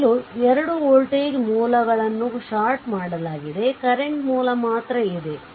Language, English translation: Kannada, So, first you 2 voltage sources are shorted only current source is there